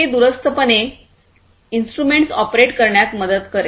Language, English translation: Marathi, So, basically this will help in operating instruments remotely